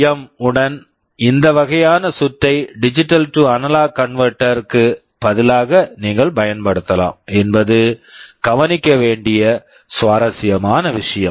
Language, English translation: Tamil, The interesting point to notice that this kind of a circuit with PWM you can use in place of a digital to analog converter